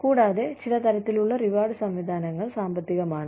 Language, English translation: Malayalam, And, some types of rewards systems, that are, there are financial